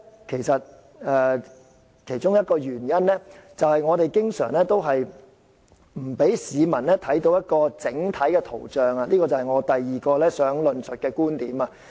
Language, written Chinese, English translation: Cantonese, 其中一個原因，就是政府經常不讓市民看到整體情況，這就是我第二個要論述的觀點。, One of the reasons for this is that the Government often does not allow the public to see the full picture . This is the second view I am going to elaborate on